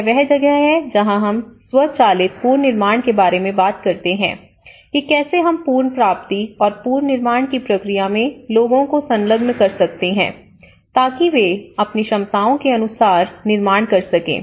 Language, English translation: Hindi, This is where we talk about the self driven reconstruction, how we can engage the people in the recovery process in the reconstruction process so that they can build their capacities